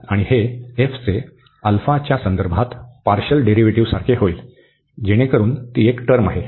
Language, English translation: Marathi, And this will become like partial derivative of f with respect to alpha, so that is the one term